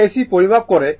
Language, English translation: Bengali, It measures the AC right